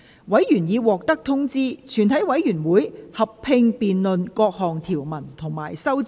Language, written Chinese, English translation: Cantonese, 委員已獲得通知，全體委員會會合併辯論各項條文及修正案。, Members have been informed that the committee will conduct a joint debate on the clauses and amendments